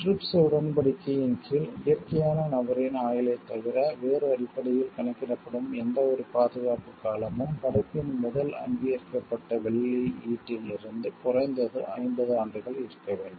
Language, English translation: Tamil, Under the trips agreement any term of protection that is calculated on the basis other than the life of a natural person must be at least 50 years from the first authorized publication of the work